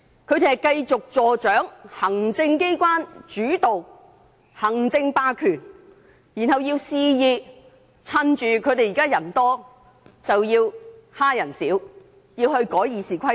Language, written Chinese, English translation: Cantonese, 他們要繼續助長行政機關主導、行政霸權，肆意藉着他們現在佔大多數之機欺壓少數，修改《議事規則》。, They want to promote the further development of an executive - led system with executive hegemony and take the opportunity that they are now in the majority to arbitrarily bully the minority and amend the Rules of Procedure